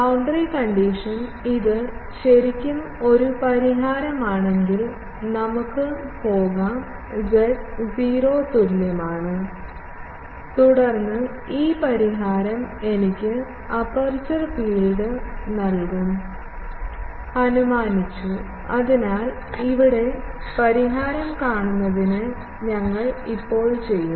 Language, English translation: Malayalam, The boundary condition is, if this is really a solution, let us go back to z is equal to 0 plane and then this solution should give me the aperture field that I have assumed; so, that we will do now, to find the solution here